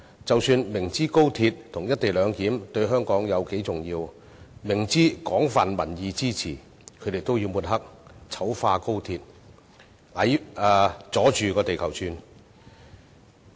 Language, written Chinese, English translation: Cantonese, 即使他們明知高鐵與"一地兩檢"對香港有多重要，亦明知有廣泛民意支持，也要抹黑、醜化高鐵，"阻着地球轉"。, Even if they are well aware of the importance of XRL and the co - location arrangement backed by wide public support to Hong Kong they still smear and defile XRL holding up the train